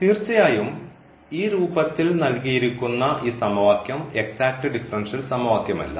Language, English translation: Malayalam, Of course, so, this equation given in this form is not an exact differential equation